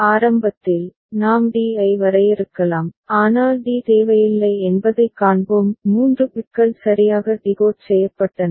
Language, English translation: Tamil, Initially, we can define d but we shall see that d is not required 3 bits correctly decoded